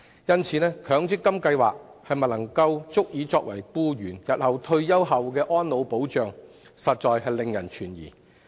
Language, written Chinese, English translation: Cantonese, 因此，強積金計劃是否足以作為僱員的退休保障，實在令人懷疑。, Hence it is indeed doubtful whether the MPF System can sufficiently serve as retirement protection for employees